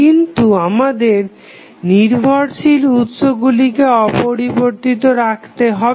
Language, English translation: Bengali, But, we have to leave the dependent sources unchanged